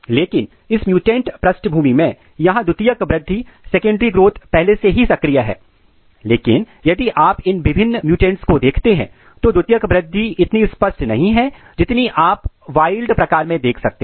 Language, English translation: Hindi, But in this mutant background this here secondary growth is already activated, but if you look these different mutants the secondary growth is not so evident as you can see in the wild type